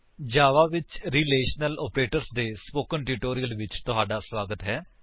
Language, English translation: Punjabi, Welcome to the spoken tutorial on Relational Operators in Java